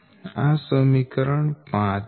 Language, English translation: Gujarati, this is equation five